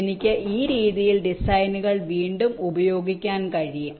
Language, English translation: Malayalam, ok, i can reuse the designs in this way